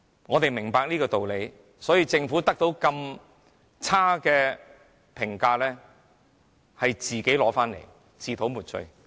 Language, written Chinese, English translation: Cantonese, 我們明白箇中道理，政府得到如此差劣的評價確實咎由自取、自討沒趣。, We do understand the reason behind and the Government only has itself to blame for such a poor popularity rating . This is indeed self - inflicted